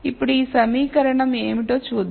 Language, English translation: Telugu, So, now, let us see what this equation becomes